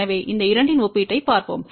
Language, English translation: Tamil, So, let us look at a comparison of these two